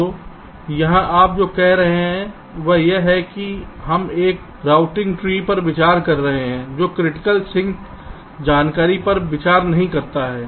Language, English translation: Hindi, so here what you are saying is that we are considering a routing tree that does not consider critical sink information